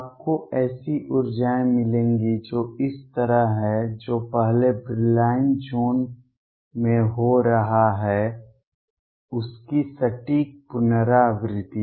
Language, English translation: Hindi, You will get energies which are like this, exact repetition of what is happening in the first Brillouin zone